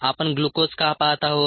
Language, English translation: Marathi, why are we looking at glucose